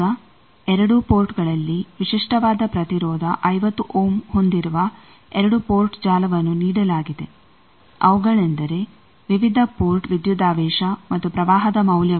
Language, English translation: Kannada, Now, it 2 port network with characteristic impedance 50 ohm is given at both ports, such that these are the various port voltage and current values